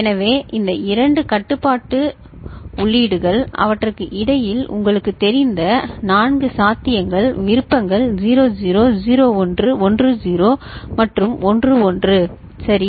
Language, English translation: Tamil, So, these two control inputs, between them offer 4 possible you know, options 00, 01, 10 and 11 ok